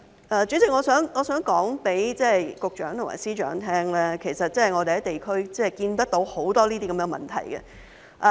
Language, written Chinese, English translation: Cantonese, 代理主席，我想告訴局長和司長，其實我們在地區看見很多這些問題。, Deputy Chairman I would like to tell the Secretary and the Chief Secretary that we have actually detected many of these problems in the districts